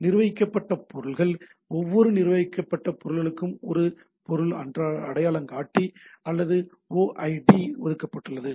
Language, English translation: Tamil, Managed objects each managed object is assigned a object identifier, or OID